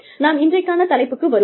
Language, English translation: Tamil, Let us come to the topic, for today